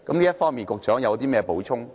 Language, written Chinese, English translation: Cantonese, 這方面，局長有甚麼補充？, Does the Secretary has anything to add in this respect?